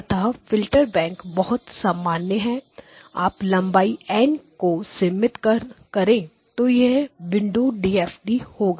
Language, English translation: Hindi, So, you see that the filter bank is the most general you restrict length to N then it becomes a windowed filter bank windowed DFT